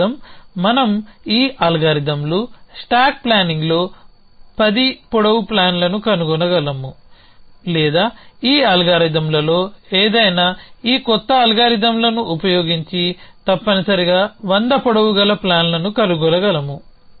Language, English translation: Telugu, It means it we could find plans of lengths 10 we these algorithms goes stack planning or any of these algorithms we could find plans of lengths of 100 using these new algorithms essentially